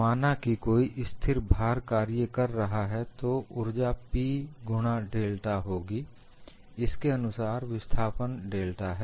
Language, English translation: Hindi, Suppose I have a constant load acting, then the energy would be P into delta a corresponding displacement is delta